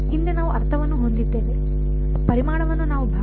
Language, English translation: Kannada, Previously we had just I mean, volume we have chopped up into segments